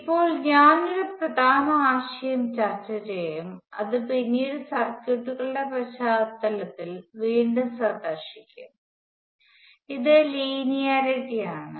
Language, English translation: Malayalam, Now, I will discuss an important concept, which will revisit later in the context of circuits it is linearity